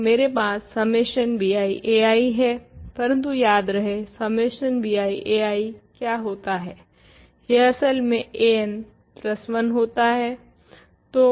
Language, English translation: Hindi, So, I have summation bi a i , but remember, what is summation bi a i , it is actually a n plus 1